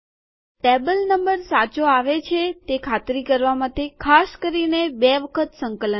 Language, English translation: Gujarati, Typically one would have to compile twice to make sure the table number comes correct